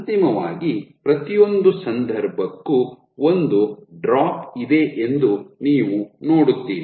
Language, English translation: Kannada, So, eventually for every case you will see a drop